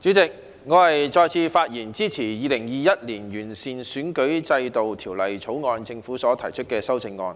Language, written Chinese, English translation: Cantonese, 代理主席，我再次發言支持政府在《2021年完善選舉制度條例草案》中提出的修訂。, Deputy Chairman I rise to speak again in support of the amendments proposed by the Government in the Improving Electoral System Bill 2021 the Bill